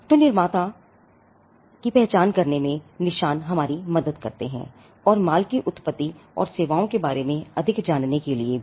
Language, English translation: Hindi, So, marks helps us to identify the producer, or to know more about the origin of goods and services